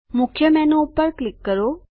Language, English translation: Gujarati, Click Main Menu